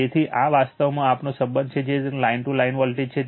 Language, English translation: Gujarati, So, this is actually our relationship that is line to voltage